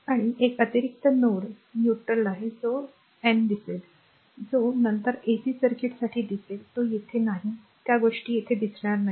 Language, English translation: Marathi, And one additional node is neutral that we will see your n, that we will see later for the AC circuit not here we will not see those things here right